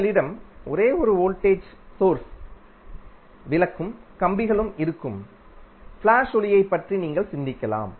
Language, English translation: Tamil, You can think of like a flash light where you have only 1 voltage source and the lamp and the wires